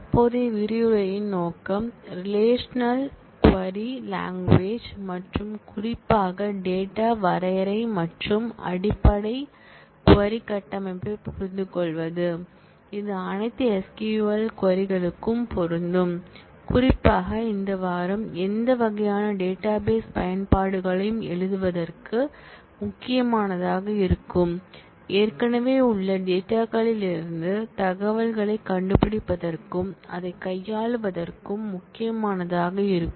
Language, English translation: Tamil, The objective of the current module is to, understand the relational query language and particularly the data definition and the basic query structure, that will hold for all SQL queries, particularly this the modules this week would be important for writing any kind of database applications, squaring the database to find information from the existing data and to manipulate it